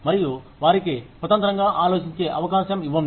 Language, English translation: Telugu, And, give them a chance to think independently